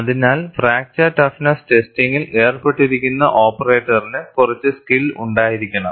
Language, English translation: Malayalam, And, in fact, a person performing the fracture toughness testing has to adhere to that